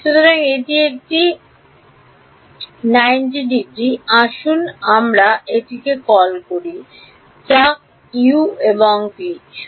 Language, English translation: Bengali, So, this is a 90 degrees let us call this let us say u and v